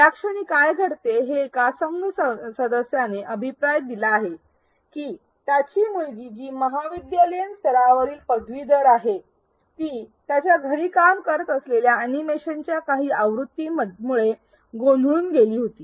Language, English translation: Marathi, At this point what happens is one team member gives feedback that his daughter who is a college level college undergraduate student was confused by some sequence of steps in the animation that he was working on at home